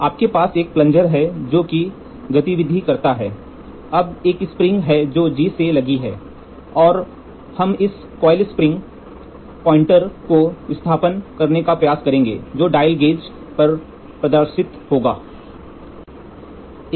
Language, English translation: Hindi, So, you have a plunger which moves the plunger is now there is a spring which is loading to G, and here the displacement we will try to move this coil spring and you have a rack